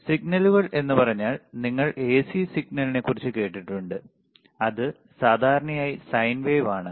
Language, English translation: Malayalam, Signals in the sense, that when you talk about AC signal, it is generally sine wave,